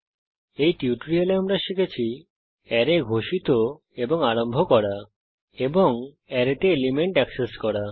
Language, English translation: Bengali, In this tutorial, you will learn how to create arrays and access elements in arrays